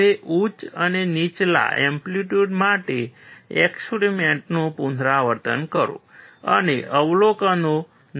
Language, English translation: Gujarati, Now repeat the experiments for higher and lower amplitudes, and note down the observations